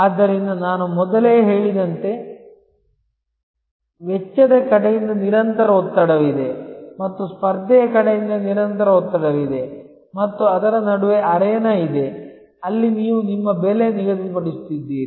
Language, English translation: Kannada, So, as I said earlier that there is a constant pressure from the cost side and there is a constant pressure from the competition side and in between is the arena, where you are setting your pricing